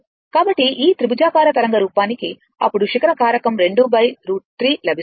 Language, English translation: Telugu, So, for this triangular wave form then you will get your ah peak factor 2 by root 3